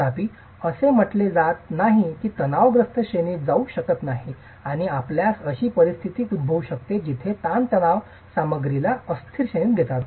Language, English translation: Marathi, However, it's not said that the stresses cannot go into the elastic range and you might have situations where the stresses go into the stresses take the system, take the material into an elastic range